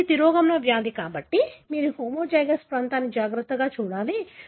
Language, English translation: Telugu, Because it is a recessive disease, you have to carefully look at the homozygous region